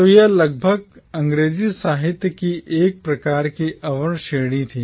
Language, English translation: Hindi, So it was a category of inferior kind of English literature almost